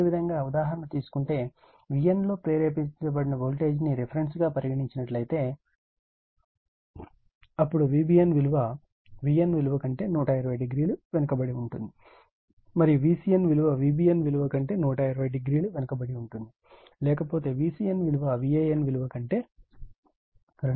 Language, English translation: Telugu, And if you take for example, voltage induced in V n as the reference, then V b n lags from V n by 120 degree, and V c n lags from V b n 120 degree, otherwise V c n lags from V a n by two 240 degree right